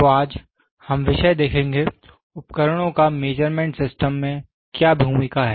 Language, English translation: Hindi, So, today, we will see the topic, role of the instruments in measurement systems